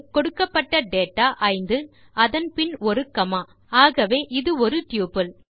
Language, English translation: Tamil, Since the given data is 5 followed by a comma, it means that it is a tuple 3